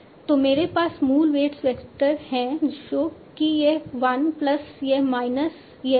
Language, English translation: Hindi, So I have the original weight vector that is this one plus this minus this